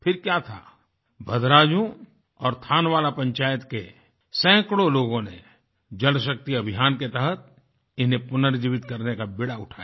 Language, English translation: Hindi, But one fine day, hundreds of people from Bhadraayun & Thanawala Panchayats took a resolve to rejuvenate them, under the Jal Shakti Campaign